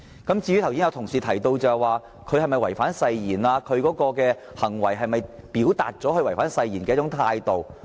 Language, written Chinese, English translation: Cantonese, 剛才有同事問及他是否已違反誓言，以及他的行為是否已表達他違反誓言的態度。, Just now a colleague asked whether he was in breach of the oath and whether his conduct had expressed his attitude of breaching the oath